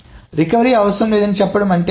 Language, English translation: Telugu, What does it mean to say no recovery is needed